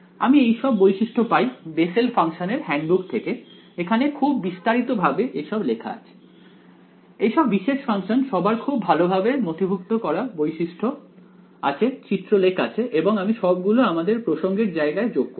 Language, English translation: Bengali, I get these properties from the handbook of Bessel functions this is extensively documented all these special functions have very well documented properties graphs and all I will include a reference to it right